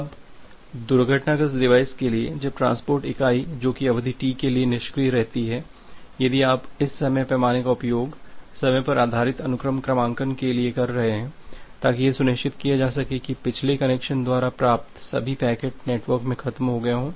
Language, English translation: Hindi, Now, for a crashed device, then the transport entity that remains idle for a duration T, if you are just utilizing this time scale, at time period based sequence numbering to ensure that all the packets from the previous connection are dead